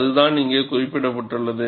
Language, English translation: Tamil, And that is what is mentioned here